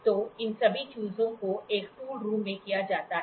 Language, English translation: Hindi, So, all these things are done in a tool room